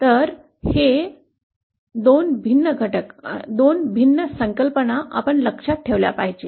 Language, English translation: Marathi, So, these are 2 different components, 2 different concepts we have to keep in mind